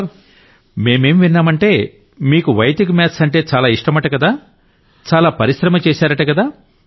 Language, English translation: Telugu, I have heard that you are very interested in Vedic Maths; you do a lot